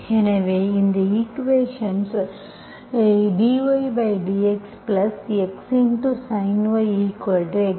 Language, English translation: Tamil, So if you solve this equation, dy by dx x times sin 2y